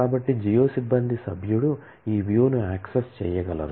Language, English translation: Telugu, So, a geo staff member would be able to access this view